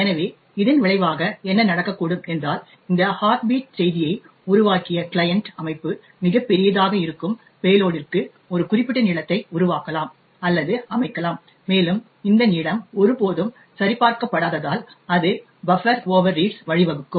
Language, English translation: Tamil, So, as a result of this what could happen was that the client system which created this heartbeat message could create or set a particular length for the payload which is very large and since this length was never checked it could result to the buffer overread